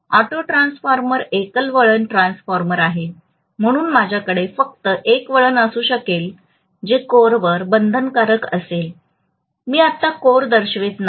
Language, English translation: Marathi, Auto transformer is for example a single winding transformer, so I may just have a winding which is bound on a core, I am not showing the core right now